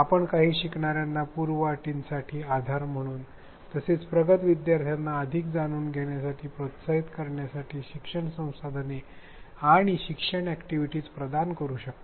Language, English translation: Marathi, You can provide learning resources and learning activities to support prerequisites for some learners as well as to encourage advanced learners to learn more